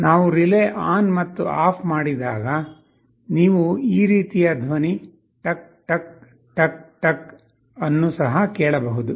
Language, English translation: Kannada, When we switch a relay ON and OFF, you can also hear a sound tuck tuck tuck tuck like this